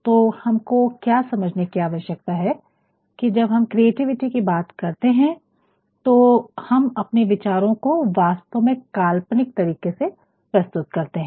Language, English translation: Hindi, So, what we need to understand is when we talk about creativity, we are actually going to express an ideas in an imaginative ways